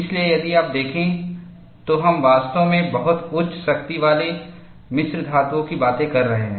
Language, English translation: Hindi, So, if you look at, we are really talking of very high strength alloys